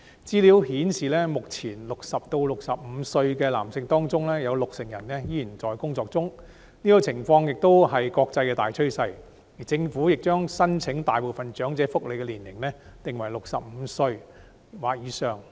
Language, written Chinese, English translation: Cantonese, 資料顯示，目前60歲至65歲的男性中有六成人仍然在職，這種情況亦是國際大趨勢，而政府亦將大部分長者福利的申請年齡定為65歲或以上。, Information shows that at present among males aged between 60 and 65 60 % are still working . Such a situation is also an international trend . And the Government has also set the eligibility age for most elderly welfare benefits at 65 or above